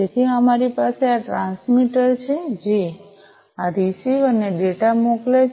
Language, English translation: Gujarati, So, we have this transmitter sending the data to this receiver